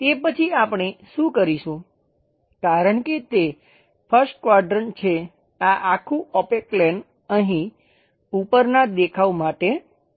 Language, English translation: Gujarati, After that, what we will do is; because it is a first quadrant thing, this entire opaque plane comes here for top view